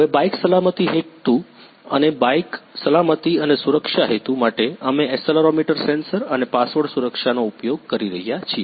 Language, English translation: Gujarati, Now for bike safety purpose and bike safety, and security purpose we using accelerometer sensor and a password protection